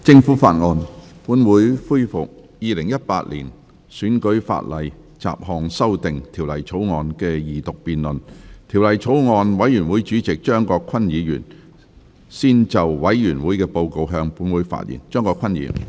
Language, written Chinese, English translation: Cantonese, 主席，我謹以《2018年選舉法例條例草案》委員會主席的身份，向立法會提交報告，並簡述法案委員會商議的主要事項。, President in my capacity as Chairman of the Bills Committee on Electoral Legislation Bill 2018 I present the Bills Committees Report to the Council and highlight the major issues deliberated by the Bills Committee